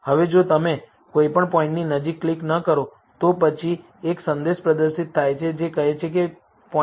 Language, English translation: Gujarati, Now, if you do not click near any of the points, then a message is displayed, which says that no point is identified within 0